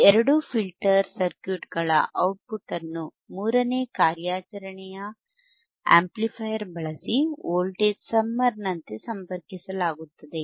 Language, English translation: Kannada, tThe output from these two filter circuits is then summed using a third operational amplifier connected as a voltage summer